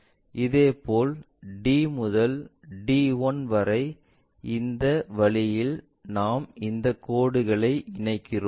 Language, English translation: Tamil, Similarly, D to D1 so D to D 1, that way we join these lines